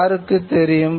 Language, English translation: Tamil, People needed to know